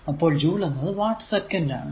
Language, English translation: Malayalam, So, joule is equal to watt second